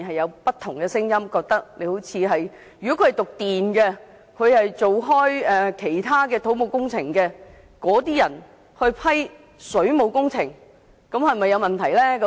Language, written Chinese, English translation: Cantonese, 有業內人士認為，由修讀電工或一直從事土木工程的人士批核水務工程，可能存在問題。, Some members of the industry have maintained that problems might arise when waterworks had been approved by people who studied electrical works or who had been working in the civil engineering sector